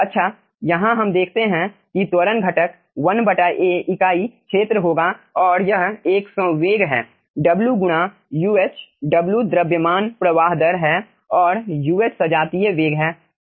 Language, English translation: Hindi, so here we see that acceleration component will be 1 by a, so per unit area, and this is a momentum w into uh, w is the mass flow rate and uh is the homogeneous velocity